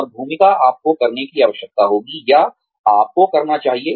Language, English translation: Hindi, And the role, you would need to, or you would ought to play